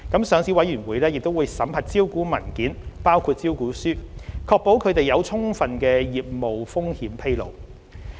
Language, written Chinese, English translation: Cantonese, 上市委員會亦會審核招股文件，確保它們有充分的業務風險披露。, The Listing Committee will also vet listing documents including prospectus to ensure that there is sufficient business risk disclosure